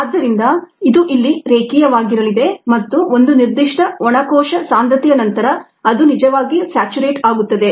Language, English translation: Kannada, so it is going to be linear here and above a certain dry cell concentration it is actually going to saturate